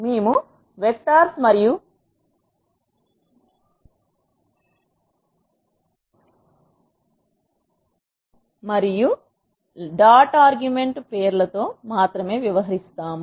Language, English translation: Telugu, We will deal with only vectors and names dot argument